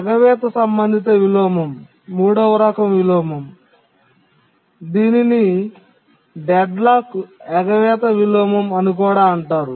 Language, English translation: Telugu, An avoidance related inversion is also called deadlock avoidance inversion